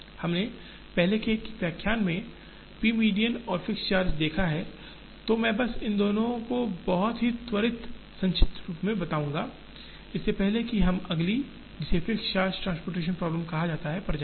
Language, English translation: Hindi, We have seen p median and fixed charge in an earlier lecture, so I will just provide a very quick recap of both of these before we go to the next one, which is called the fixed charge transportation problem